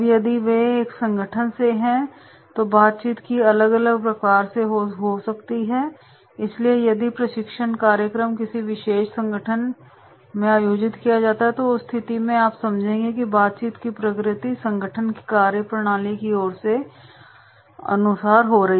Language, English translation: Hindi, Now if they are from the same organisation then the nature of interaction will be different, so if the training program is conducted in a particular organisation so than in that case you will find that is the nature of interaction is the understanding the function of the organisation